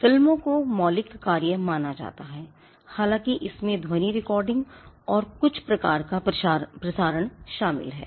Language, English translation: Hindi, Films tend to be regarded as original works though they involve sound recording and some kind of broadcasting